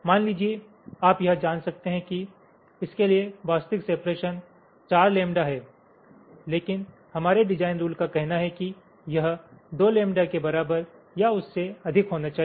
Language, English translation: Hindi, suppose you may find that for this ah, this one, the actual separation is four lambda, but our design rule says that it should be greater than equal to twice lambda